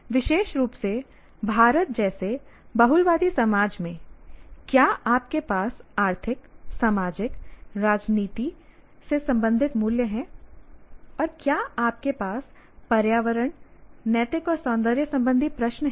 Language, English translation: Hindi, So, you have, especially in a pluralistic society like ours in India, do you have values related to economic, social, political, and you can even say environmental, ethical and aesthetic questions